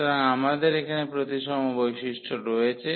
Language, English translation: Bengali, So, we have the symmetry property here